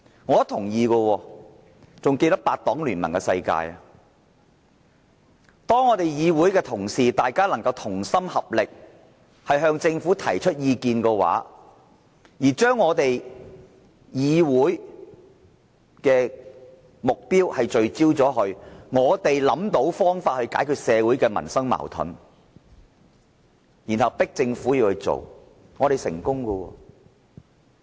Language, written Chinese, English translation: Cantonese, 我同意的，還記得八黨聯盟的時候，議會同事同心合力向政府提出意見，將議會的目標聚焦，我們想到方法解決社會民生的矛盾，然後迫政府做，我們成功了。, I agree . I still remember eight political parties did join force to express their views to the Government in the past . When all Council Members focused on the same goal and find out a solution to address a social or livelihood conflict we can successfully pressurize the Government to face the issue squarely